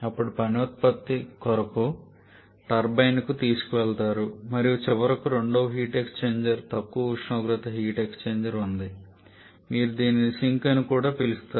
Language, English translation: Telugu, Then it is taken to the turbine to keep the work output and finally there is a second heat exchanger a low temperature heat exchanger you can call this to be the sink also